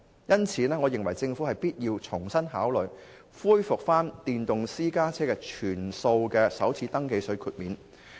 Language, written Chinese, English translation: Cantonese, 因此，我認為政府必須重新考慮恢復電動私家車首次登記稅的全數豁免。, Therefore I believe the Government must reconsider resuming the full waiver for first registration tax for electric private vehicles